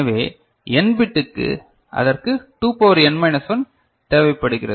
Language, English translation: Tamil, So, for n bit it requires 2 to the power n minus 1 ok